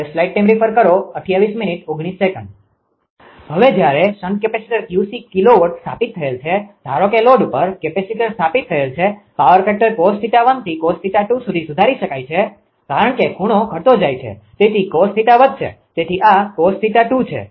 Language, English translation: Gujarati, Now, when a shunt capacitor suppose Q c kilowatt is installed at the load; suppose capacitor installed at the load, the power factor can be improved from cos theta 1 to cos theta 2 because angle getting decrease, so cos theta will increase; so this is cos theta 2